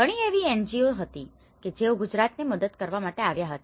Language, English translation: Gujarati, It was many NGOs which came to Gujarat to give their helping hand